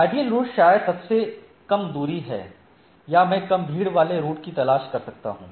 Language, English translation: Hindi, So, optimal route maybe the shortest distance, I may look for less congested route